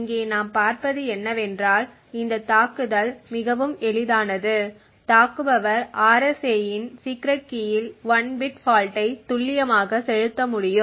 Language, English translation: Tamil, So, what we see over here is that this attack is extremely easy provided that the attacker is precisely able to inject 1 bit fault in the secret key of the RSA